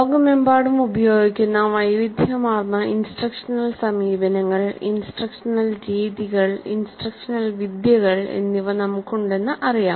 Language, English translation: Malayalam, We know that we have a wide variety of instructional approaches, instructional methods, instructional architectures that are being used across the world